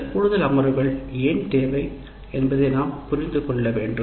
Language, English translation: Tamil, So we need to understand why these additional sessions are required